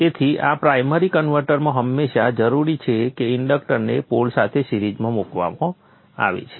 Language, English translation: Gujarati, So in this primary converters it is always required that the inductor is placed in series with the pole